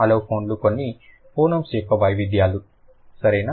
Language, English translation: Telugu, Allophones are variations of certain phonyms